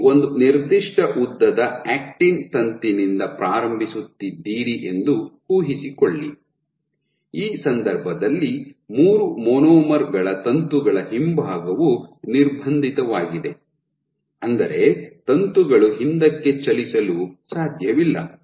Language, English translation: Kannada, So, imagine you are starting from an actin filament of a certain length, let us say in this case of three monomers, and the back wall of the filament is constrained which means that the filaments cannot move back